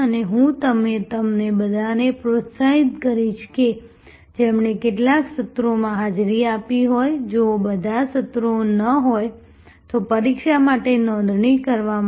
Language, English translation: Gujarati, And I would encourage all of you who have attended even some of the sessions, if not all the sessions to register for the examination